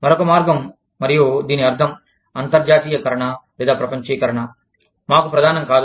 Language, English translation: Telugu, The other way, and so, this means that, internationalization or globalization, is not a priority for us